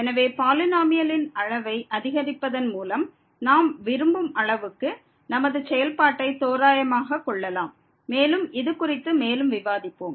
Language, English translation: Tamil, So, by increasing the degree of the polynomial we can approximate our function as good as we like and we will discuss on these further